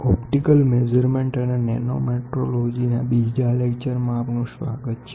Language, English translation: Gujarati, Welcome to the next chapter of discussion which is Optical Measurements and Nanometrology